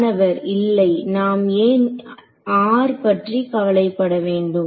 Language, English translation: Tamil, No why are we concerned with the r